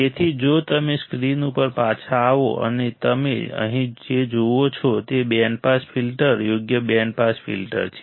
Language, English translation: Gujarati, So, if you come back to the screen and what you see here is a band pass filter correct band pass filter